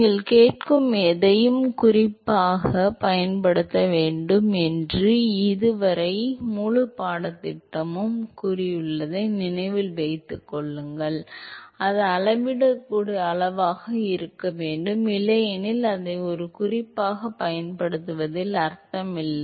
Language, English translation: Tamil, Remember that the whole course so far always said that anything you ask use as reference has to be something that should be a measurable quantity, otherwise it does not make much sense to use it as a reference